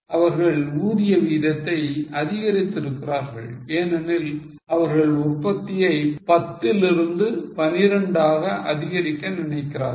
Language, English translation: Tamil, They have increased the labour rate because they want to increase the production from 10 to 12